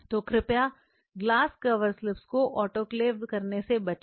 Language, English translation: Hindi, So, please avoid autoclaving the glass cover slips